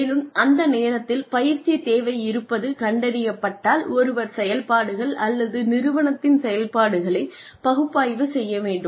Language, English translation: Tamil, And, if the training need, is found to be there, at that time, then one needs to analyze, the operations or the working, of the organization